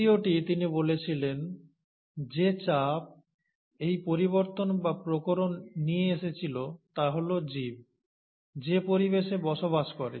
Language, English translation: Bengali, The second he said, the pressure which brings about these modifications, or the variations, is the environment in which the organism lives